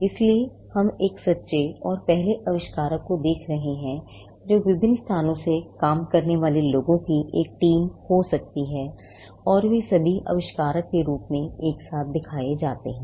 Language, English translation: Hindi, So, we are looking at a true and first inventor could be a team of people working from different locations and they are all shown together as the inventor